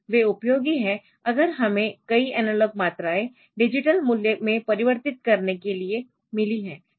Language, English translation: Hindi, So, they are useful for if we have got several analog quantities to be converted into digital value so, they can be useful for that